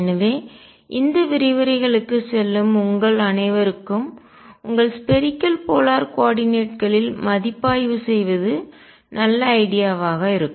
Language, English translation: Tamil, So, it will be a good idea for all of you who are going through these lectures to review your spherical polar coordinates